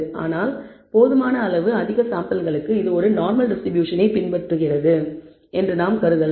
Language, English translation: Tamil, But we can for large enough number of samples, we can assume that it follows a normal distribution